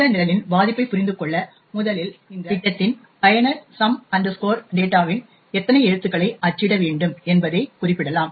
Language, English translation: Tamil, In order to understand the vulnerability of this program, firstly the user of this program can specify how many characters of some data he needs to print